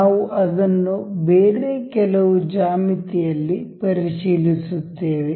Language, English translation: Kannada, We will check that on some other geometry